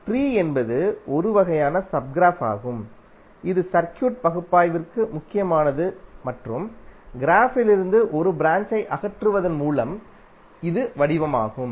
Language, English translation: Tamil, Tree is one kind of sub graph which is important for our circuit analysis and it is form by removing a branch from the graph